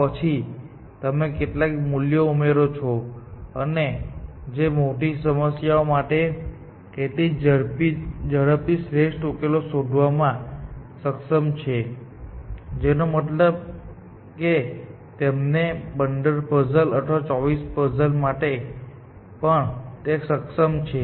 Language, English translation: Gujarati, Then, you add a certain amount, and that search was able to find optimal solution such faster for bigger problem, which means for the 15 puzzle and the 24 puzzle as well, essentially